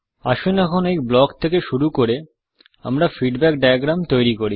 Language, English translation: Bengali, Let us now create the feedback diagram starting from this block